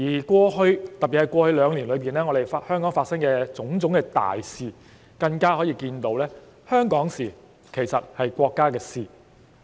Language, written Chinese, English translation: Cantonese, 過去，特別是過去兩年，從香港發生的種種大事可以看到，香港的事情其實是國家的事情。, In the past especially over the past two years it has been evident from various major events which have happened in Hong Kong that matters of Hong Kong are matters of the country